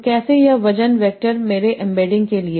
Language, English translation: Hindi, So how these weight vectors form my embeddings